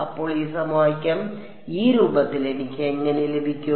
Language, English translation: Malayalam, So, how do I get this equation in this form